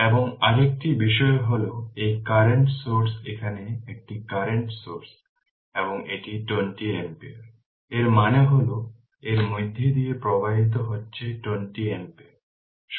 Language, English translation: Bengali, And an another thing is that this is current source is here one current source is here, and it is 20 ampere; that means, current flowing through this is 20 ampere